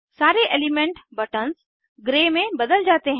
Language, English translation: Hindi, All element buttons turn to grey